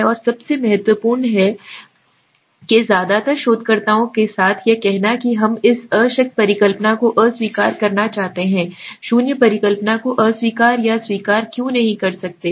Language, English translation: Hindi, and the most important thing is that in most of the researchers be say with this want to disprove the null hypothesis we want to disprove or reject the null hypothesis why